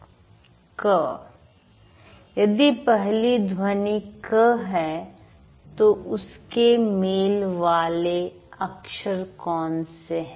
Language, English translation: Hindi, If the first sound is Ker, what are the corresponding letters